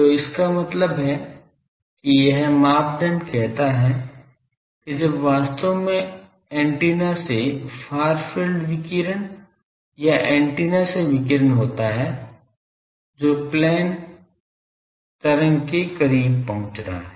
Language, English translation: Hindi, So that means, this criteria says that when really the radiation far field radiation or radiation from the antenna that is approaching the plane wave structure